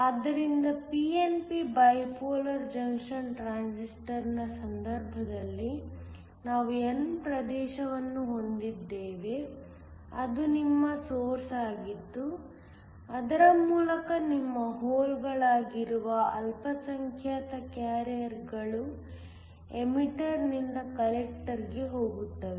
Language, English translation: Kannada, So, in the case of PNP bipolar junction transistor, we had n region which was your base through which the minority carriers which are your holes go as they go from the emitter to the collector